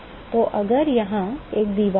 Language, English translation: Hindi, So, if you have a wall here, yeah